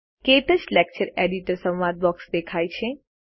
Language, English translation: Gujarati, The KTouch Lecture Editor dialogue box appears